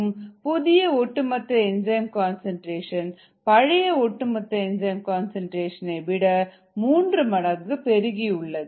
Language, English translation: Tamil, the new total enzyme concentration is three times the volt enzyme concentrate, total enzyme concentration